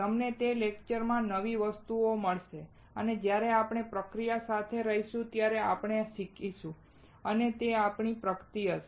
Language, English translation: Gujarati, You will find new things in those lectures and while we stay together in this process, we learn and that will be our progress